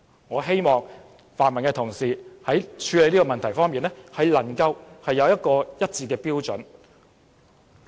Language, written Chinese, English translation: Cantonese, 我希望泛民議員在處理這個問題時，能有統一的標準。, I hope that pan - democratic Members will apply the same standard when dealing with this problem